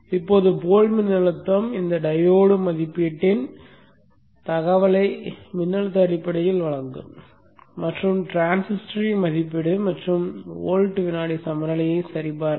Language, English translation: Tamil, Now the pole voltage will give information on this diodere rating in terms of voltage and the rating of the transistor and also the voltage across the inductor to check for the volt second balance